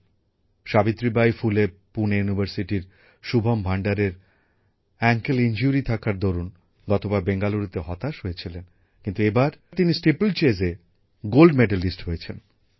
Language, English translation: Bengali, Shubham Bhandare of Savitribai Phule Pune University, who had suffered a disappointment in Bangalore last year due to an ankle injury, has become a Gold Medalist in Steeplechase this time